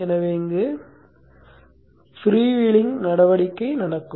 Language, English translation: Tamil, So there will be a freewheeling action happening here